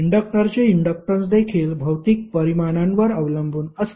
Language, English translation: Marathi, Inductance of inductor depends upon the physical dimension also